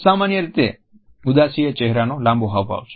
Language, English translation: Gujarati, Usually sadness is a longer facial expression